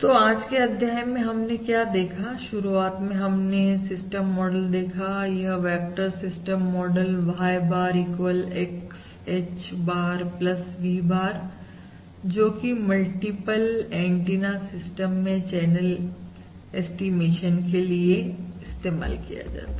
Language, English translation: Hindi, so basically what we have done in today’s module is basically we have started with this system model, this vector system model: Y bar equals X, H bar plus V bar for channel estimation in this multiple antenna system